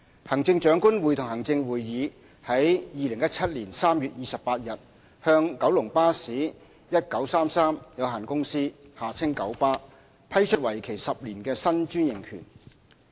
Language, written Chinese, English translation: Cantonese, 行政長官會同行政會議於2017年3月28日向九龍巴士有限公司批出為期10年的新專營權。, The Chief Executive in Council granted a new 10 - year franchise to the Kowloon Motor Bus Company 1933 Limited KMB on 28 March 2017